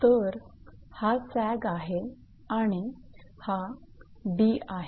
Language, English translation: Marathi, So, this is actually this is the sag this and this is d